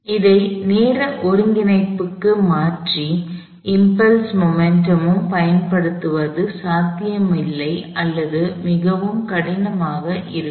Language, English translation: Tamil, If you choose to convert to this to time coordinate and use impulse momentum, it would either be not possible or very difficult